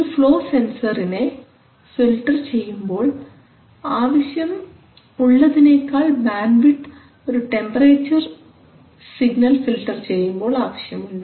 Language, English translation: Malayalam, So if it is censoring, if it is filtering a flow sensor its band width will be larger than if it is filtering a temperature signal